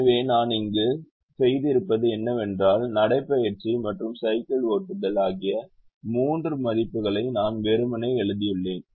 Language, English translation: Tamil, so what a done here is i have simply written the, the three given values of walking and and a cycling